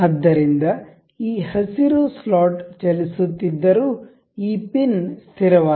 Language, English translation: Kannada, So, this green slot is moving however this pin is fixed